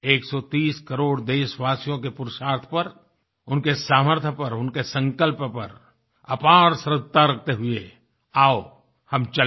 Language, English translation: Hindi, Let's show immense faith in the pursuits actions, the abilities and the resolve of 130 crore countrymen, and come let's move forth